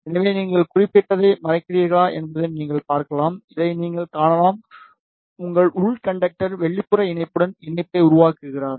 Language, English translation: Tamil, So, you can see if you hide this particular, you can see this your inner conductor is making the connection with the outer patch